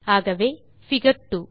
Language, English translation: Tamil, So figure 2